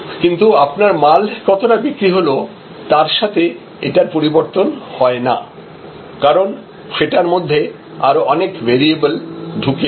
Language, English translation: Bengali, But, it will not vary with respect to your volume of sales for example, because that has many other variables embedded in that